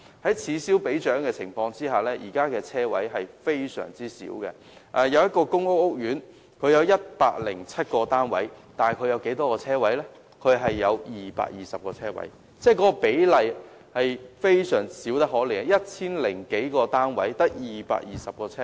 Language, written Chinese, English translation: Cantonese, 在此消彼長的情況下，現時的車位非常少，某個公屋屋苑單位合共有 1,007 個，但只有220個車位，比例小得可憐 ，1,000 多個單位只有240個車位。, There are now very limited parking spaces . For instance a 1 000 - flat housing estate only has 220 parking spaces . The ratio is pathetic only 240 parking spaces for 1 000 - old flats